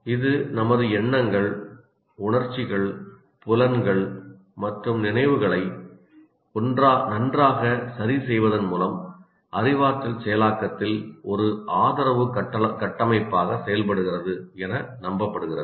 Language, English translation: Tamil, It is also believed it also acts as a support structure in cognitive processing by fine tuning our thoughts, emotions, senses and memories